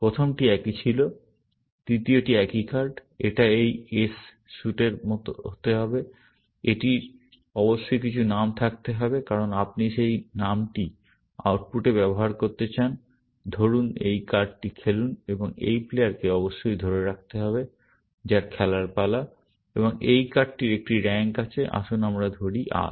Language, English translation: Bengali, The first was same, the third one is similar card; it must be of this suit, s; it must have some name, because you want to use that name in the output, say, play this card, and must be held by this player, whose turn it is to play, and this card has a rank, let us say R